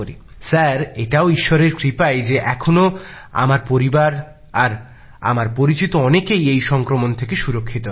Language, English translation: Bengali, So sir, it is God's grace that my family and most of my acquaintances are still untouched by this infection